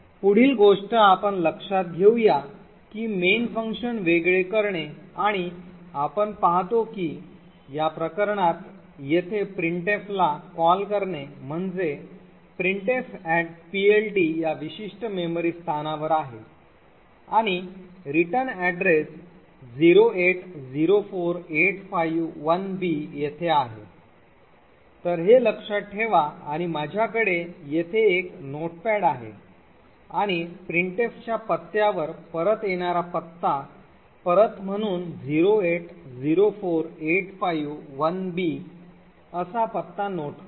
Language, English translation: Marathi, The next thing we would note we would look at is the disassembly of main and we see that the call to printf here in this case the printf@PLT is in this particular memory location and the return is present at location 0804851b, so we can note this down and I have a notepad here and note down the address as 0804851b as the return address return from address from printf, ok